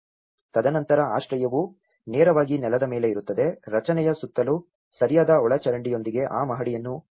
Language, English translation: Kannada, And then the shelter would be erectly directly on the ground, elevated that floor with proper drainage around the structure